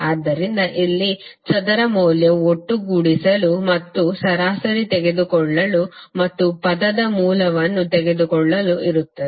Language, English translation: Kannada, So here square value is there to sum up and take the mean and take the under root of the term